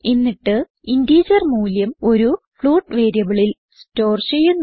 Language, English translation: Malayalam, Im storing the integer value in a float variable